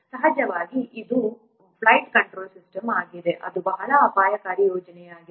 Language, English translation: Kannada, Of course, this is a flight control system, this is a very risky project